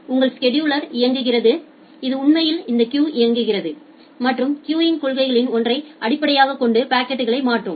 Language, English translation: Tamil, Then your scheduler is running, which actually runs on this queues and transfer the packets based on one of the queuing policies